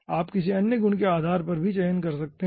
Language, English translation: Hindi, you can select based on any other property